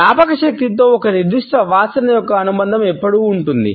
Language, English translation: Telugu, The association of a particular smell with memory is always there